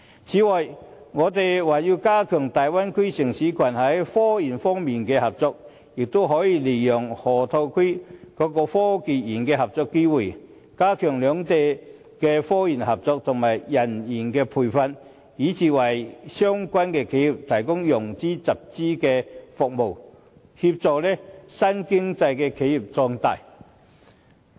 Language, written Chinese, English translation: Cantonese, 此外，我們還可加強與大灣區城市群在科研方面的合作，也可以利用河套區科技園的合作機會，加強兩地科研合作及人員培訓，以至為相關的企業提供融資、集資的服務，協助新經濟的企業壯大。, Besides we can also step up the cooperation of Bay Area cities in respect of technological research . For example we may draw on the cooperation now going on in the innovation and technology park of the Loop as an opportunity to enhance the cooperation of the two sides in technological research manpower training and even enterprise financing and fundraising so as to assist the growth of new economy enterprises